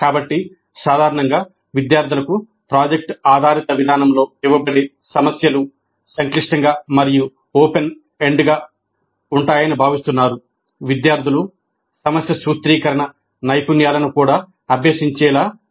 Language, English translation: Telugu, So the problems that are generally given to the students in product based approach are expected to be complex and open ended in order to make the students practice even the problem formulation skills